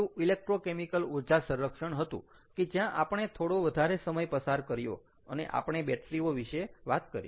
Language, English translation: Gujarati, the first one was electrochemical energy storage, and where we spent a little more time and we talked about batteries, right